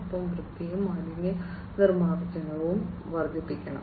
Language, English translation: Malayalam, And there has to be increased cleanliness and waste disposal